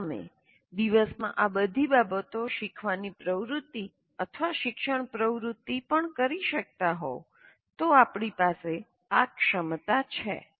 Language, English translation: Gujarati, So if you are able to do all these things in your day to day learning activity or even teaching activity, then we have that metacognitive ability